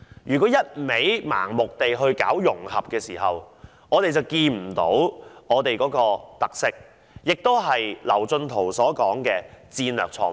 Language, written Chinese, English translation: Cantonese, 若然盲目推行融合，便會忽視香港的特色，這亦是劉進圖所說的"戰略錯誤"。, The blind promotion of integration will prevent us from seeing Hong Kongs features . This in Kevin LAUs words is a strategic mistake